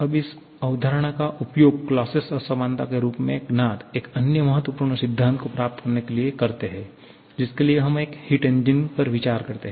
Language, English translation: Hindi, Now, let us use this concept to derive another important principle known as the Clausius inequality for which we consider a heat engine